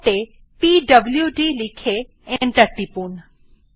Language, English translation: Bengali, Type at the prompt pwd and press enter